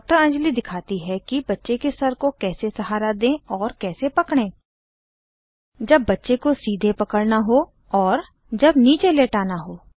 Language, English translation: Hindi, Anjali shows her how to support the head of the baby and cradle it when holding the baby upright or when laying it down